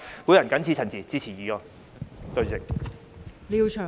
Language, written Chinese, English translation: Cantonese, 我謹此陳辭，支持議案。, With these remarks I support the motion